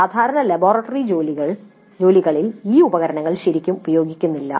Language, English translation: Malayalam, In the regular laboratory works these instruments are not really made use of